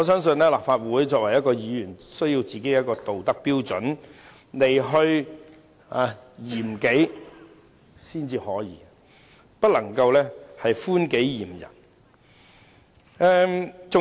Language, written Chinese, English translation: Cantonese, 作為立法會議員，必須以一套道德標準來嚴己，絕不能寬己嚴人。, As Members of the Legislative Council we must apply a uniform set of moral standards to regulate ourselves rather than being lenient to ourselves and harsh to others